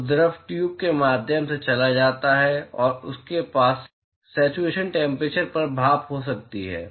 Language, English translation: Hindi, So, the fluid goes through the tube and you might have steam at the saturation temperature